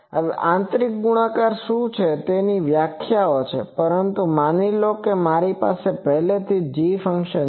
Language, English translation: Gujarati, Now what is inner product there are definitions, but suppose I have a g function already I have seen that g function I will also have